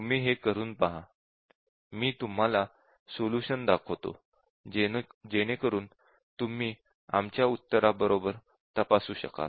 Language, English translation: Marathi, Please try this out, but let me just display the solution to this, so that you can check with our answer